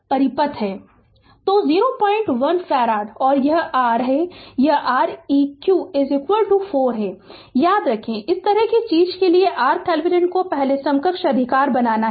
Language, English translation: Hindi, 1 farad, and this R this is Req is equal to 4 remember for this kind of thing we have to make the R thevenin first equivalent right